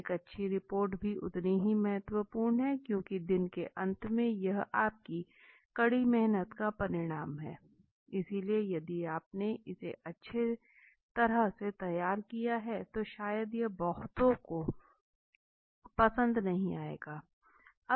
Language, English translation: Hindi, A good report is equally important because at the end of the day this is the result of your hard work, so if you have not done it well maybe it will be not liked by many okay